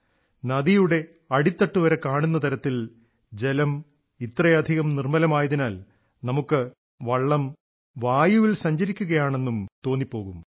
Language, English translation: Malayalam, The water of the river is so clear that we can see its bed and the boat seems to be floating in the air